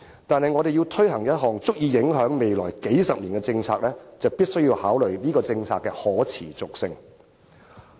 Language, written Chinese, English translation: Cantonese, 但是，當我們要推行一項足以影響未來數十年的政策時，便必須考慮這項政策的可持續性。, Yet as far as the implementation of such a policy which will have far - reaching impacts over the next few decades is concerned we must consider if it is sustainable